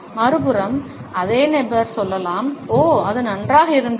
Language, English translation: Tamil, On the other hand, the same person can say, oh, it was good